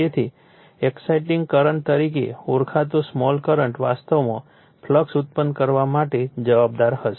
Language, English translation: Gujarati, So, small current called exciting current will be responsible actually for you are producing the flux